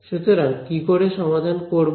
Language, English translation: Bengali, So, how do we solve it